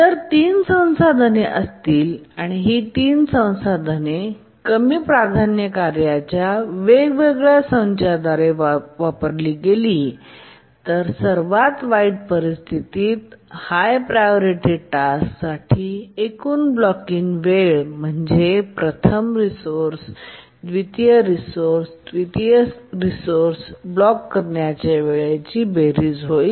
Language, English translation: Marathi, If there are three resources and these three resources are used by different sets of lower priority tasks, then the total blocking time for the high priority task in the worst case will be the blocking time for the first resource plus the blocking time of the second resource plus the blocking time of the third resource where the blocking time for each resource is given by theorem one